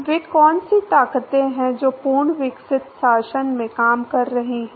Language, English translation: Hindi, What are the forces that are acting in a fully developed regime